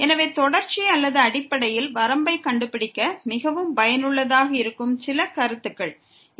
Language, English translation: Tamil, So, some remarks which are very useful for finding out the continuity or basically the limit